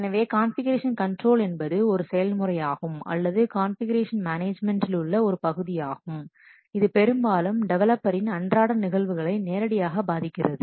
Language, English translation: Tamil, So, configuration control is the process of our configuration control is the part of configuration management system which most directly affects the day to day operations of the developers